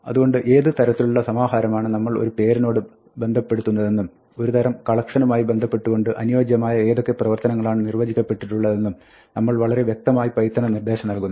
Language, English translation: Malayalam, So, there is an unambiguous way of signaling to python what type of a collection we are associating with the name, so that we can operate on it with the appropriate operations that are defined for that type of collection